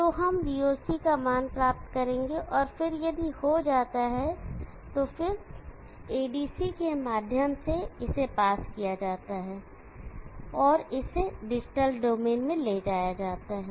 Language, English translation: Hindi, So we will get the value of VOC, and then if done pass it through a ADC it can be taken to the digital domain